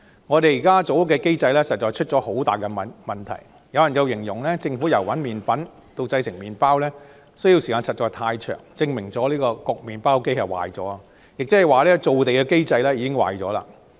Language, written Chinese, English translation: Cantonese, 現時建屋的機制實在出現了很大問題，有人形容政府由找麵粉到製成麵包需時實在太長，證明焗麵包機壞了，亦即造地的機制已經出現了問題。, There are big problems in the existing mechansim of housing construction . Some people say that it takes too long for the Government to finish the process from finding the flour to the bread being baked . It shows that the bread - baking machine has broken down meaning that the land creation mechanism malfunctions